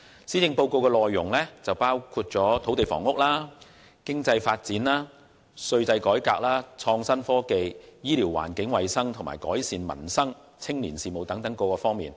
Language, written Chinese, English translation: Cantonese, 施政報告的內容涵蓋土地、房屋、經濟發展、稅制改革、創新科技、醫療、環境衞生，以及改善民生和青年事務等多方面。, The Policy Address covers land housing economic development tax reform innovation and technology IT health care environmental hygiene as well as the improvement of peoples livelihood and youth affairs